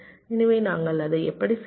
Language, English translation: Tamil, so how we do it